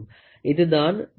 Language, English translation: Tamil, So, here is the thimble